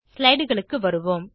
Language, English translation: Tamil, Lets switch back to slides